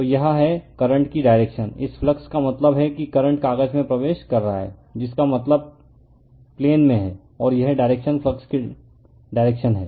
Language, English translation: Hindi, So, this is this is the direction of the current, this flux means that your current is entering into the into on the on the paper right that mean in the plane, and this direction this is the direction of the flux